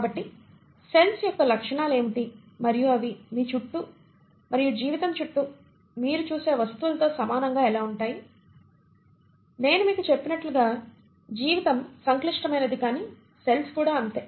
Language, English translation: Telugu, So what are the properties of cells and how are they similar to the things that you see around yourself and life, as I told you, life is complex but so are cells